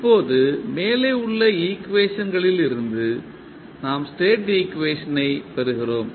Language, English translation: Tamil, Now, from the equation 1 and 2 we get the state equation